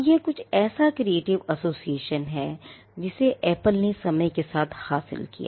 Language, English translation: Hindi, Now, this creative association is something which Apple achieved over a period of time